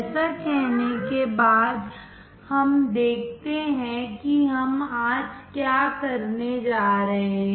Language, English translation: Hindi, Having said that, let us see what we are going to do today